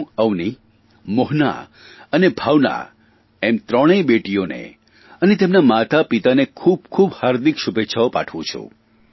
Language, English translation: Gujarati, I extend my heartiest wishes to these three daughters Avni, Bhawana and Mohana as well as their parents